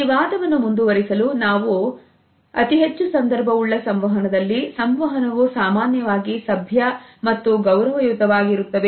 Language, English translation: Kannada, To continue this argument further, we can say that a high context communication is normally polite and respectful